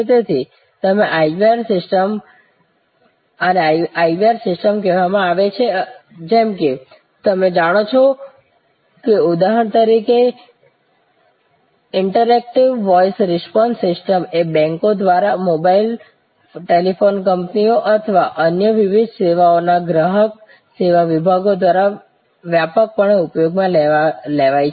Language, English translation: Gujarati, So, these are called IVR system as you know for example, Interactive Voice Response system widely use now by banks, by customer service departments of mobile, telephone companies or and various other services